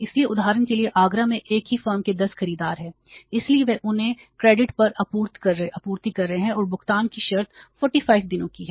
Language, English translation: Hindi, So, for example there are 10 buyers of the same firm in Agra so they are supplying them to on the credit and the payment terms are say 45 days